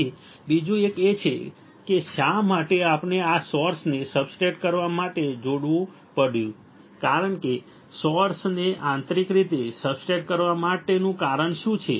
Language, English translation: Gujarati, So, another one is why we had to connect this source to substrate what is the reason of connecting source to substrate internally right